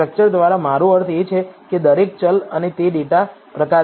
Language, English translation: Gujarati, By structure I mean that each variable and it is data type